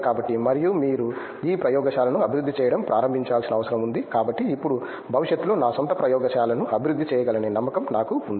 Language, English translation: Telugu, So, and he is a like you need to start developing this lab, so now, I have a confidence that I can develop my own lab in future where ever if is go and join there